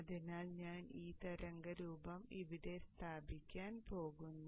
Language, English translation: Malayalam, So I am going to place this waveform here